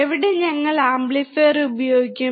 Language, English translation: Malayalam, Where can we use the amplifier